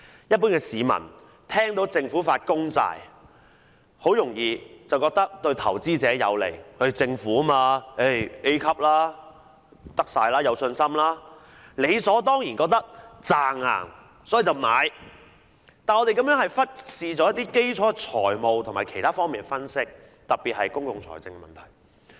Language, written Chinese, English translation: Cantonese, 一般市民聽到政府發公債，很容易便以為對投資者有利，政府發債是 A 級，一定可行、有信心，理所當然認為穩賺，所以便買入，但我們忽視了基礎的財務和其他方面的分析，特別是公共財政的問題。, The general public purchase government bonds because they would easily consider government bonds lucrative and A - rated . They are confident that proceeds are guaranteed . However we have ignored the fundamental analysis of the financial and other aspects in particular the issue of public finance